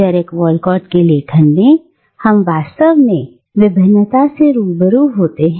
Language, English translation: Hindi, In the writings of Derek Walcott, we come across something really different